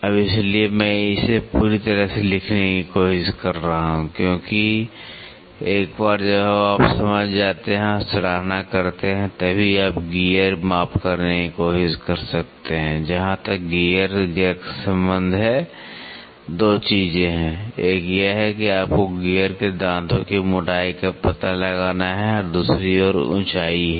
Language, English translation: Hindi, Now, so, I am trying to fully write it down because once you understand and appreciate, then only you can try to do gear measurement, as far as a gear is concerned there are 2 things; one is you have to find out the gear teeth thickness and the other one is the height